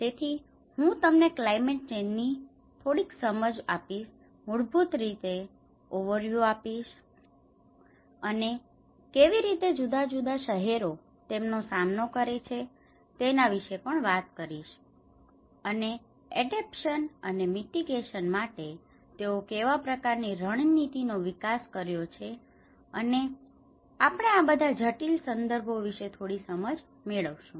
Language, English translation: Gujarati, So, I will give you an overview of the basics of climate change understanding and I will also talk about how different cities are able to cope up with it, and what kind of strategies of for adaptation and mitigation they are developing and we will have a little critical understanding of all these approaches